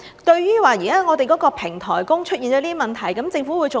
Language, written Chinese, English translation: Cantonese, 對於我們現在的平台工出現了這些問題，政府會做甚麼？, How come? . What will the Government do to address the problems encountered by platform workers?